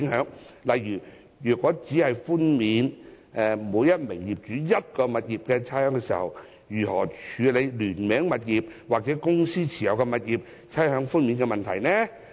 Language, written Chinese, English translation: Cantonese, 舉例而言，如每位業主只獲寬免一項物業的差餉，聯名物業及公司持有物業的問題該如何處理？, For example how should jointly - owned properties or properties held via a holding company be handled if each owner will be provided with rates concession for a property?